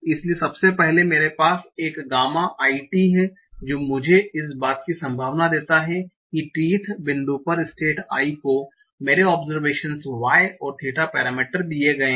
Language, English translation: Hindi, So firstly I have this gamma iT that gives me the probability that at teth point the state is i given my observations y and theta parameters